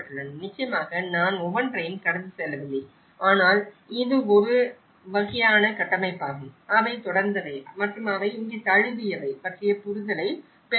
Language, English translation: Tamil, Of course, I am not going through each and everything but I am just flipping through that this is a kind of framework to set up, to get an understanding of what they have continued and what they have adapted here